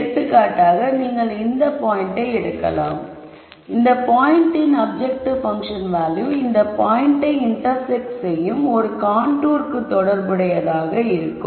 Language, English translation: Tamil, So, for example, you could pick this point and the objective function value at that point would be corresponding to a contour which intersects this point